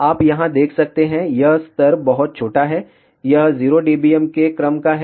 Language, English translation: Hindi, You can see over here that this level is very small, it is of the order of 0 dBm